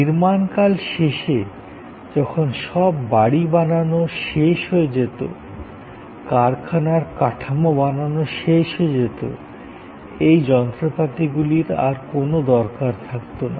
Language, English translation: Bengali, At the end of the construction period, when all the buildings were done, all the plant structures were done, these machines had no further use